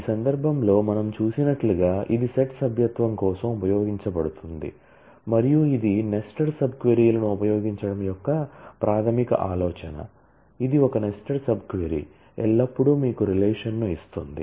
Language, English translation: Telugu, And in this case as we have seen it is used for set membership and this is a basic idea of using nested sub queries; that is a nested sub query will always give you a relation